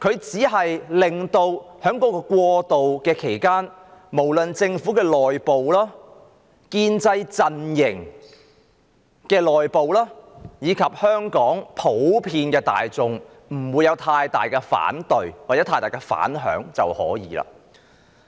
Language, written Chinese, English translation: Cantonese, 在過渡期間，只要政府內部、建制陣營內部，以及香港普羅大眾不會有太多反對或反響就可以了。, In this transitional period it will be fine as long as there are not too many objecting or dissenting voices from within the Government from within the pro - establishment camp and from the general Hong Kong public